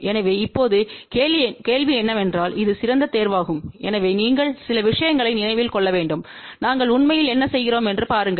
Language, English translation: Tamil, So, now the question is which is the best choice ok, so for that you have to remember few things see what is we are really doing